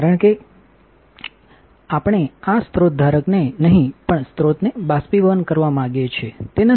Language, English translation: Gujarati, Because we want to evaporate the source and not this source holder; is not it